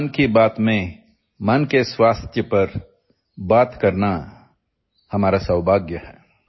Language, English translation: Odia, It is our privilege to talk about mental health in this Mann Ki Baat